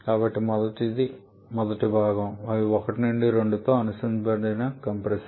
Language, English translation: Telugu, So, first one first component is compressor which is associated with this 1 to 2